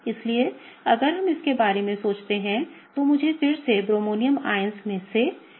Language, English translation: Hindi, So, if we think about it, let me just draw one of the bromonium ions again